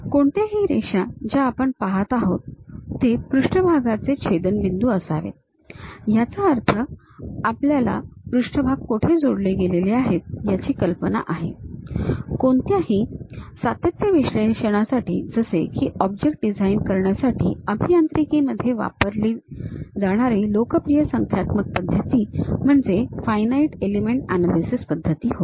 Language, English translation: Marathi, Any lines what we are seeing this supposed to be intersection of surfaces; that means, we have idea about what are the surfaces connected with each other; for any continuum analysis like designing the objects, one of the popular numerical method what we call in engineering finite element analysis